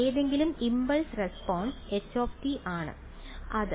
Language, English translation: Malayalam, Any impulse response h right